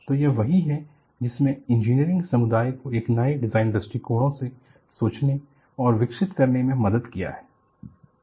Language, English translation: Hindi, So, this is what made that engineering community to think and evolve new design approaches